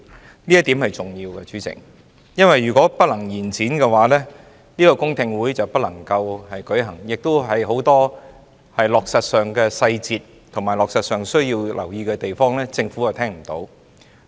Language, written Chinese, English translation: Cantonese, 主席，這點是重要的，因為如果不能延展修訂期限的話，公聽會就不能舉行，政府亦無法就落實上的細節及需要留意的地方，聽取更多意見。, President this is important because if the period for amendment cannot be extended public hearings cannot be held and the Government will not be able to listen to more opinions on the implementation details and areas that warrant attention